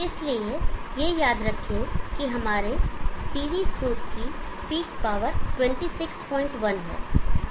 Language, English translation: Hindi, So that recall that our PV source as a big power of 26